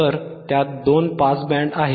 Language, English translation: Marathi, So, it has two pass bands correct